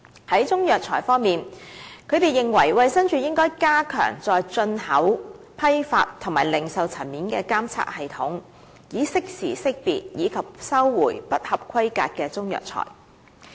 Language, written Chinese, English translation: Cantonese, 在中藥材方面，他們認為衞生署應加強在進口、批發和零售層面的監測系統，以適時識別及收回不合規格的中藥材。, On Chinese herbal medicines they are of the view that the Department of Health DH should strengthen its market surveillance system at the import wholesale and retail levels such that substandard Chinese herbal medicines in the market could be identified and recalled in a timely manner